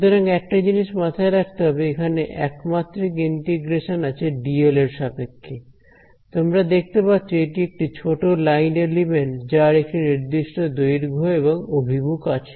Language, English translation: Bengali, So, just one thing to keep in mind, here you can in the one dimensional integral over here this dl, you can see is a small line element with some length and direction